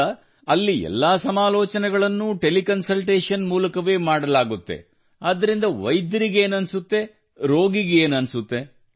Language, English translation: Kannada, Now since all the consultations there are done through Telecom, what does the doctor feel; what does the patient feel